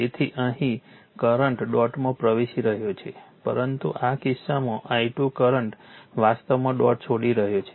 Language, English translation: Gujarati, So, here current is entering dot, but in this case the i 2 current is current actually leaving the dot right